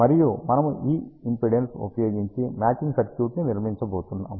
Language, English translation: Telugu, And we are going to build a matching circuit using this impedance